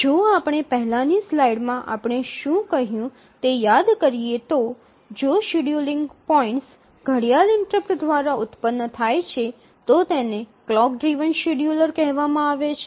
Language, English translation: Gujarati, So, if you remember what we said in the earlier slide is that if the scheduling points are generated by a clock interrupt, these are called as clock driven scheduler